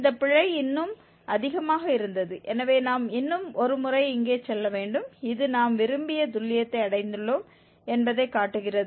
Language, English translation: Tamil, This error was more so we have to go once more here for one more iteration and this shows exactly that we have achieved the desired accuracy